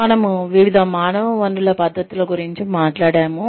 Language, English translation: Telugu, We have talked about different human resources practices